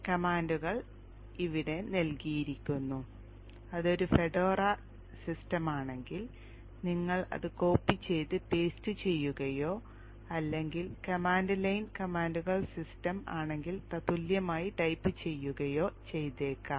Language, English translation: Malayalam, You just may have to copy and paste it if it is a Fedora system or equivalent to type in the command line commands if it is any other Linux system